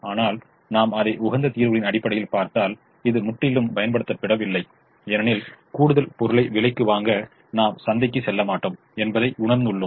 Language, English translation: Tamil, but if i look at it from the optimum solutions point of view, because this is not completely utilized, i realize that i will not go to the market to buy an extra item at a cost